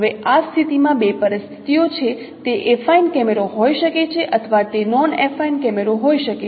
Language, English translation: Gujarati, Now there are two situations in this case it could be an affine camera or it could be non affaffine camera